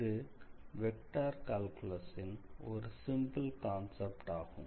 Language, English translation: Tamil, So, you see using just some simple concepts of vector calculus